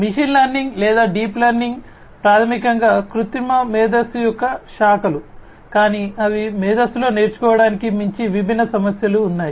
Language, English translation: Telugu, Machine learning or deep learning are basically branches of artificial intelligence, but then they are in artificial intelligence beyond learning there are different issues